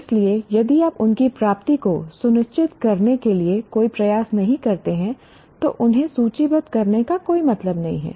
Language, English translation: Hindi, So if you don't make any effort to ensure their attainment, there is no point in listing them